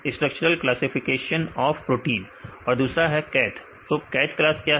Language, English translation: Hindi, Structure structural classification of proteins right and the CATH